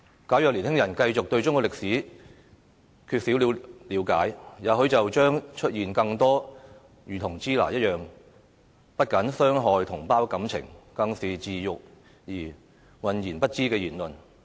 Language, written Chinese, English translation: Cantonese, 假如年輕人繼續對中國歷史缺乏了解，也許將會出現更多類似"支那"的言論，不僅傷害同胞感情，更是自辱而渾然不知的言論。, If young people continue to be ignorant of Chinese history similar remarks such as Shina may probably be made in the future which not only hurt the feelings of our fellow compatriots but also bring shame to the persons concerned without their awareness